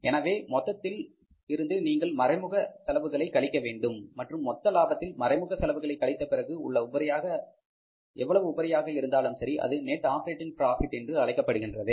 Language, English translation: Tamil, So, from the gross profit you have to subtract the indirect expenses also and finally what ever is left with us is that is a surplus of the gross profit against the indirect expenses is called as the net operating profit